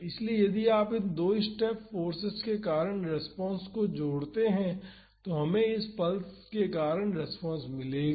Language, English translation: Hindi, So, if you add the response due to these two step forces we would get the response due to this pulse